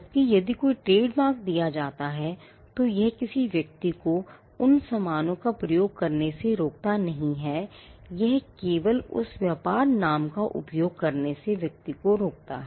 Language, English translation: Hindi, Whereas, if a trademark is granted it does not stop another person from dealing with those goods, it only stops the person from using that trade name that is it